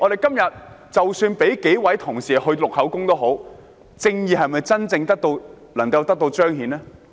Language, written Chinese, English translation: Cantonese, 即使准許幾位同事去作供，公義是否能夠真正得到彰顯呢？, Even if such leave is granted for the staff members to give evidence will justice really be served?